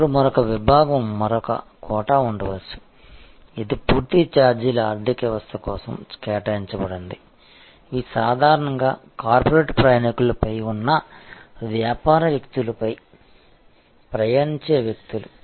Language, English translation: Telugu, Then, there can be another section another quota, which is set aside for a full fare economy again these are usually people who are traveling on business people who are actually on corporate travelers